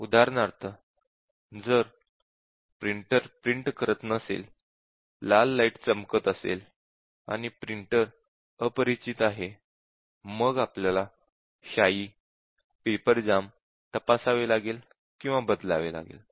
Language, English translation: Marathi, For example, if the printer does not print and the red light is flashing; and printer is unrecognized then we have check and replace ink check paper jam